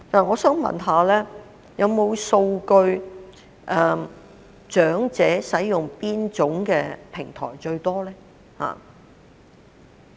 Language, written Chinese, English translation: Cantonese, 我想問，有否數據顯示長者使用哪種平台最多？, I wish to ask Is there any data showing which platform is most used by the elderly?